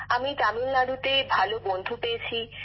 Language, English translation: Bengali, So now you must have made friends in Tamil Nadu too